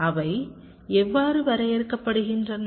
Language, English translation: Tamil, so how are they defined